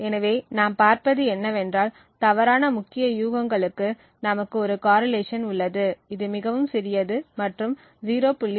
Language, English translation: Tamil, So what we see is that for wrong key guesses we have a correlation which is quite small which is less than 0